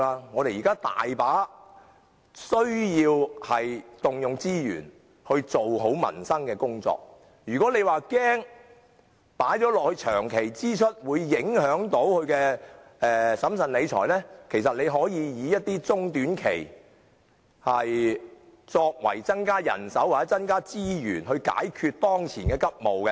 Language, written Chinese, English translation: Cantonese, 我們現時需要許多資源進行改善民生的工作，倘若政府恐怕把此等支出列為長期支出會影響審慎理財，其實可以考慮按中、短期增加人手或資源以解決當前急務。, We currently need a lot of resources for improving peoples livelihood . If the Government fears that turning such expenses into long - term expenditure may affect its principle of financial prudence it can actually consider dealing with its urgent matters through short - and medium - term measures of increasing manpower or resources